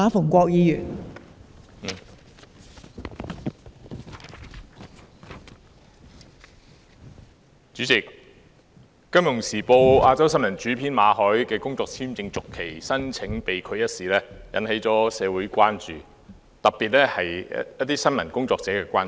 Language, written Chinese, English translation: Cantonese, 代理主席，《金融時報》亞洲新聞編輯馬凱的工作簽證續期申請被拒一事引起社會——特別是新聞工作者——的關注。, Deputy President the refusal to renew the work visa of Victor MALLET Asia news editor of the Financial Times has raised concerns in the community particularly among journalists